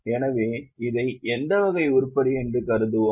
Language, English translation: Tamil, So, it is what type of item